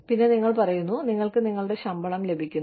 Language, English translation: Malayalam, And, you say, you just get your salary